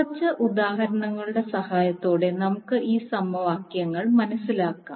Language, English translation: Malayalam, Now, let us understand these particular equations with the help of few examples